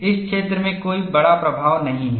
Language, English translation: Hindi, There is no major influence in this zone